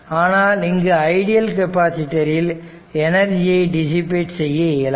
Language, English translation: Tamil, Since an ideal capacitor cannot dissipate energy right